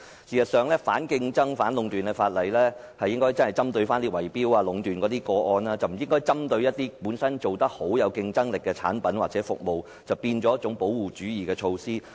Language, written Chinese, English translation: Cantonese, 事實上，有關反競爭和反壟斷的法例應該針對圍標和壟斷等個案，而不應針對本身做得好、有競爭力的產品或服務，變成保護主義的措施。, The targets of competition and antitrust laws should be bid - rigging and monopolistic activities rather than products or services that are competitive and selling well . Otherwise these laws will become protectionist measures